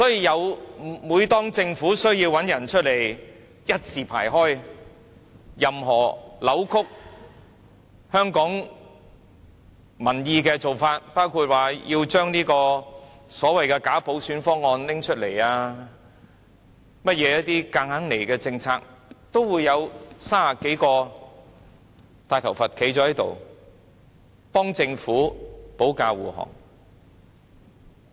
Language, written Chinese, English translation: Cantonese, 因此，每當政府需要支持的時候，這些人便會一字排開，任何扭曲香港民意的做法，包括提出所謂的"假普選"方案、一些強硬推行的政策等，都會有30多個"大頭佛"站出來替政府保駕護航。, Therefore whenever the Government needs support these people will line up in a queue and where there is any proposal that distorts the public opinion in Hong Kong including the package for bogus universal suffrage so to speak or policies that the Government wants to bulldoze through there will be some 30 clowns coming forth to play convoy for the Government